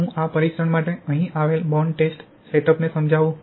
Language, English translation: Gujarati, Let me explain the bond test setup that we have here for this testing